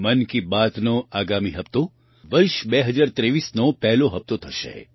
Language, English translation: Gujarati, The next episode of 'Mann Ki Baat' will be the first episode of the year 2023